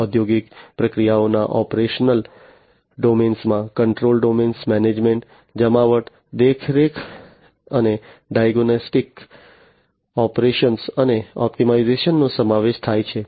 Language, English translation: Gujarati, The operational domain of the industrial processes include the control domain, the management, deployment, monitoring and diagnostics, operations, and optimization